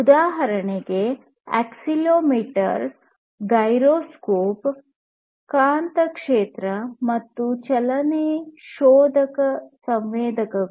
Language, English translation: Kannada, Examples would be accelerometer, gyroscope, magnetic field, motion detector sensors, and so on